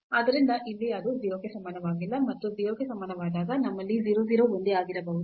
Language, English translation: Kannada, So, here it is non equal to 0, and when equal to 0 we have the 0 0 may be the same here also the same mistake